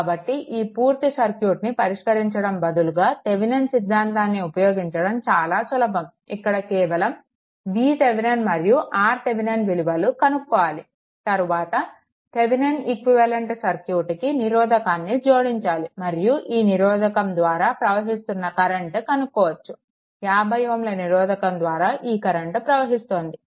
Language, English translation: Telugu, So, it is easy Thevenin’s theorem rather this solving full circuit only obtains V Thevenin and R Thevenin and then, connect that resistance across it and you will get that current flowing through the resistance so, up to 50 ohm resistance